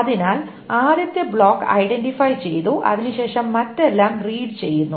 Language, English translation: Malayalam, So the first block is identified then after that everything else is red